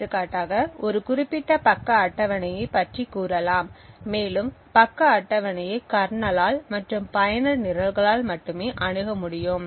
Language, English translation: Tamil, For example this may be say of a particular page table and more particularly this may specify that a page is accessible only by the kernel